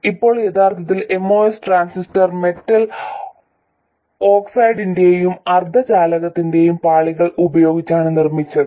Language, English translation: Malayalam, Now this was because originally moss transistors were made using layers of metal oxide and semiconductor